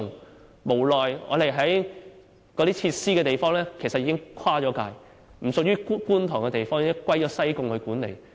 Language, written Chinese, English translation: Cantonese, 但無奈有關設施的位置其實已經跨界，不屬於觀塘區，而是由西貢區管理。, Unfortunately the location of the facilities is beyond the lineation of Kwun Tong; it belongs to Sai Kung